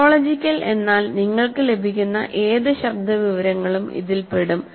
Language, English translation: Malayalam, Phonological means it is all any voice type of information that you get